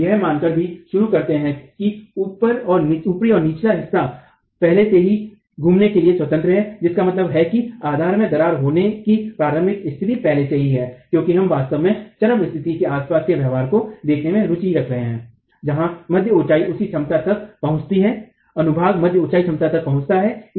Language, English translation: Hindi, We also commence by assuming that the top and the bottom are free to rotate already which means the initial condition of causing the base crack has already occurred because we are really interested in looking at the behavior around the peak condition where the mid height reaches its capacity mid height section reaches its capacity so we are starting with the assumption that the two ends are pinned already in this particular case